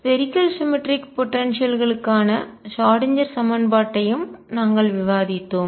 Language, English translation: Tamil, We have also discussed Schrödinger equation for spherically symmetric potentials